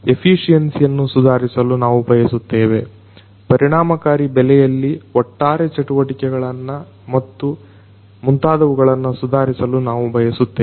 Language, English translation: Kannada, We want to improve the efficiency; we want to improve the overall cost effectiveness operations and so on and so forth